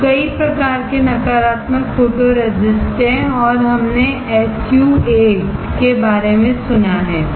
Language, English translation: Hindi, Now, there are several kinds of negative photoresist and we have heard about SU 8